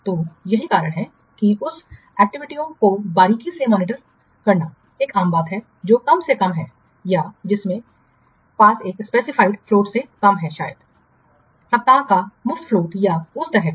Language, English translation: Hindi, So, that's why we should give also some priority to the activities with less than a specified float maybe one week or what two weeks or like that